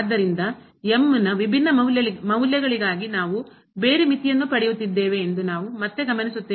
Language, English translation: Kannada, So, what we observe again that for different values of , we are getting a different limit